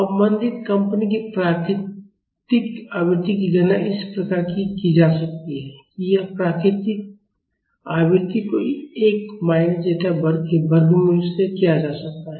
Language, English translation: Hindi, The natural frequency of damped vibration can be calculated like this is the natural frequency multiplied by square root of one minus zeta square